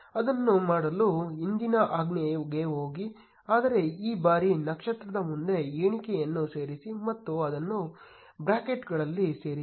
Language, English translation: Kannada, To do that, go to the previous command, but this time add count in front of the star and enclose it in the brackets